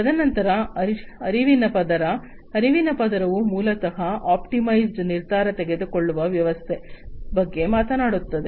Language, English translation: Kannada, And then the cognitive layer, cognitive layer basically talks about having systems for optimized decision making